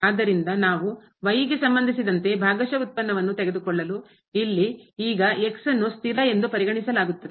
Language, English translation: Kannada, So, if we take the partial derivative with respect to here, then this is now will be treated as constants